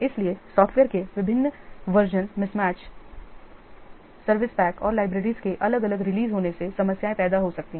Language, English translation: Hindi, So, different versions of software mismatched service packs and different release of libraries they may also create problems